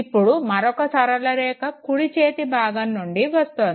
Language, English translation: Telugu, Now another one enters from the right side